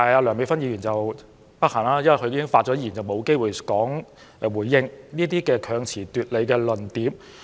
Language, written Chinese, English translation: Cantonese, 梁美芬議員不幸已發言完畢，因此沒有機會回應這些強詞奪理的論點。, Dr Priscilla LEUNG has regrettably finished her speech and will therefore have no chance to respond to such arguments which are mere sophistry